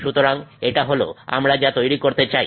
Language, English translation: Bengali, This is what we want to create